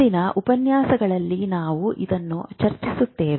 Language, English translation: Kannada, We will discuss this in future lectures